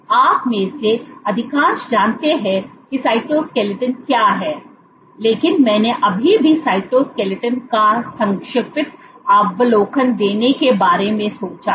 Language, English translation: Hindi, So, for the cyto, you most of you know what is cytoskeleton is, but I still thought of giving a brief overview of the cytoskeleton